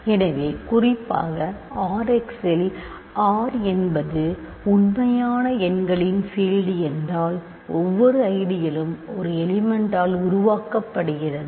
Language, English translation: Tamil, So, in particular in R x if R is the field of real numbers every ideal is generated by a single element